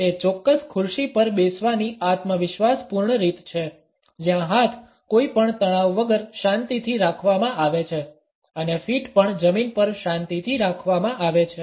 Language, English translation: Gujarati, It is a confident way of sitting on a particular chair where arms are resting peacefully without any tension and feet are also planted firmly on the floor